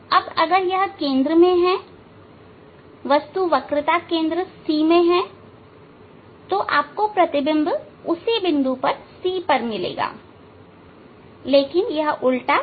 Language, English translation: Hindi, If you put at C object at C center of curvature; you will get the image also at the center of curvature and it will be real image and inverted one